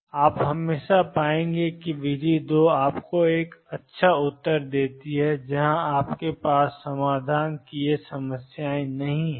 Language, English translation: Hindi, And you would always find that method two is gives you an answer where you do not have these problems of solution blooming up